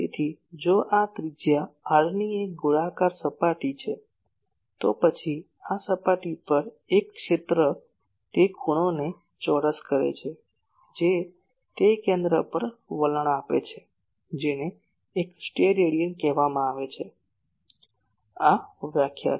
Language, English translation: Gujarati, So, if this is a spherical surface of radius r , then an on the surface an area r square the angle it subtends at the centre that is called one Stedidian , that is the definition